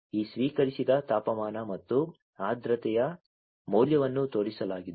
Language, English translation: Kannada, This received temperature and the humidity value is shown